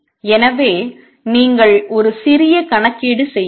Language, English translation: Tamil, So you can do a little calculation